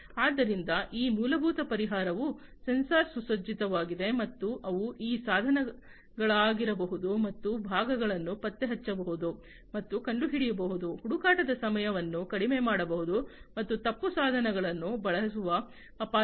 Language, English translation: Kannada, So, these basic the solution that they have is also sensor equipped, and they can be these tools and parts can be tracked and traced, there is reduction in searching time, and risk for using wrong tools